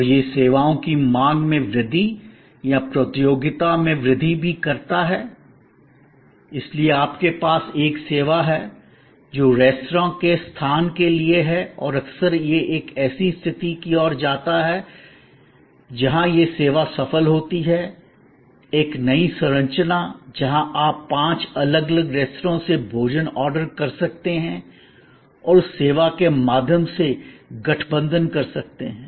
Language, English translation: Hindi, And this increase in demand for services or also increasing the competition, so you have a service, which is for restaurant location and often that leads to a situation where it that services successful, a new structure, where you can order food from five different restaurant and combine through that service